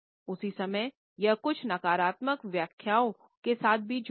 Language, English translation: Hindi, At the same time, it is associated with certain negative interpretations also